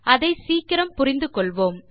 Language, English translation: Tamil, We shall understand that soon